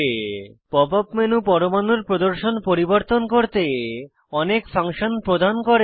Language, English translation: Bengali, Pop up menu offers many functions to modify the display of atoms